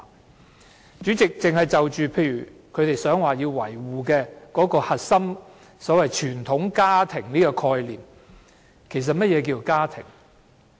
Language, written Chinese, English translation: Cantonese, 代理主席，單單去看他們試圖維護的核心價值，即所謂"傳統家庭"的這個概念，其實何謂"家庭"？, Deputy Chairman what does it actually mean by family by looking merely at the core values they seek to defend that is the concept of traditional family so to speak?